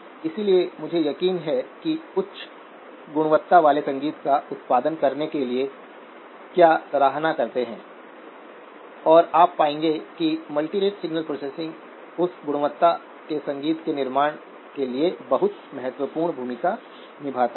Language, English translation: Hindi, So I am sure you appreciate what it takes to produce a high quality music and you will find that multirate signal processing plays a very very important role in producing music of that quality